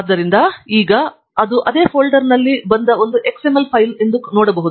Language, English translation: Kannada, So, I can now see that this is an XML file that has come in the same folder